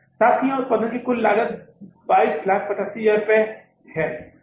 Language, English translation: Hindi, So, the total cost of the production here is 22,085,000 rupees